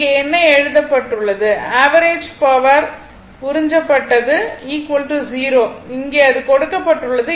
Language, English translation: Tamil, What it has been written here that, the average power absorbed is equal to 0 that is here it is given